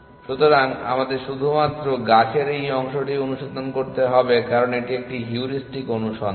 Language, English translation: Bengali, So, we have to only search this part of the tree essentially because it is a heuristic search